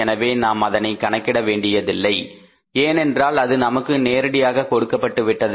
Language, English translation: Tamil, So we had to not to calculate it but it was directly given to us